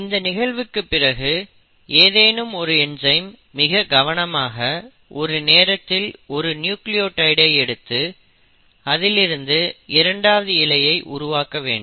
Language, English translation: Tamil, Now once that has happened the there has to be a enzyme which will then come and, you know, meticulously will start bringing in 1 nucleotide at a time and make a second strand